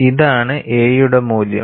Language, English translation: Malayalam, This is the value of a